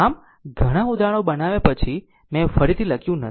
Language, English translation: Gujarati, So, that is why after making so, many examples, I did not write again I I I right